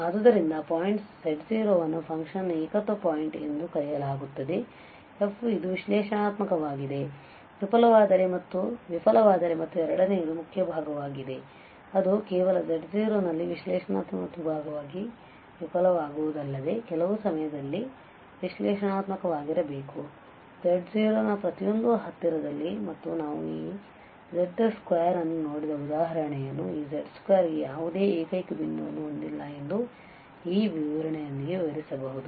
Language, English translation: Kannada, So, a point z0 is called a singular point of a function f if this f fails to be analytic and most important is the second part also that it is not only just failing to be analytic at z naught, but it should be analytic at some point in every neighbourhood of z naught and the example we have seen this mod z square which can be explain now with the this definition that this mod z square has no singular point